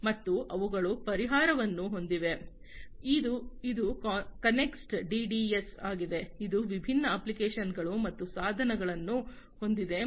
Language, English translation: Kannada, And they have a solution which is the Connext DDS, which has different apps and devices and